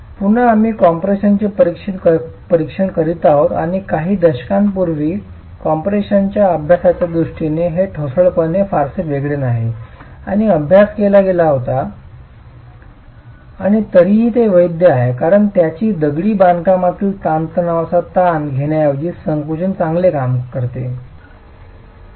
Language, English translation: Marathi, Again, we are examining compression and in a way it's not very different from concrete in its behavior in compression and studies were carried out a few decades ago and they still valid because they do a rather good job in capturing the stress strain behavior of masonry in compression